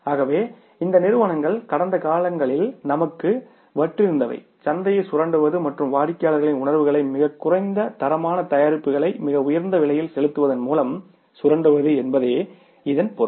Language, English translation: Tamil, So, it means what these companies were selling to us in the past, they were simply exploiting the market and exploiting the sentiments of the customers by passing on the very inferior quality products to us at a very high price, right